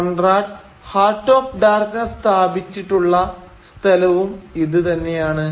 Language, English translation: Malayalam, And this is the place where Conrad situates his Heart of Darkness